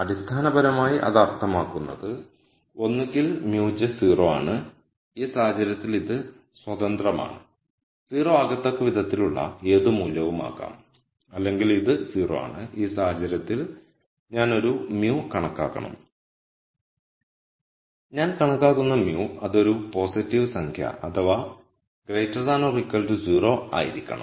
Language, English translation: Malayalam, Basically what it means is either mu j is 0 in which case this is free to be any value such that this condition is satisfied or this is 0 in which case I have to compute a mu and the mu that I compute has to be such that it is a positive number or it is greater than equal to 0